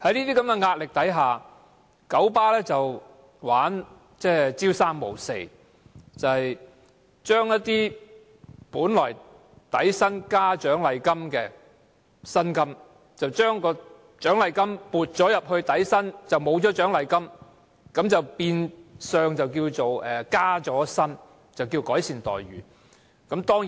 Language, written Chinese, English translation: Cantonese, 在社會壓力下，九巴玩弄伎倆，車長的薪金本是底薪加獎勵金，現把獎勵金撥入底薪，取消獎勵金，便稱為加薪，當作改善待遇。, Amid pressure from society KMB played tricks to shift the bonus to the basic salary two components originally forming the salary of drivers and abolished the bonus calling such an act a pay increase and improvement of remunerations